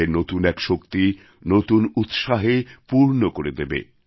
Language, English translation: Bengali, It will infuse afresh energy, newer enthusiasm into them